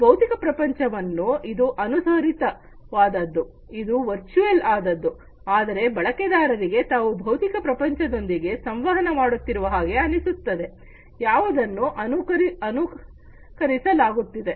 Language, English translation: Kannada, It is actually not a physical world, it is an emulated one, a virtual one, but the user feels that user is interacting with the physical world, which is being immolated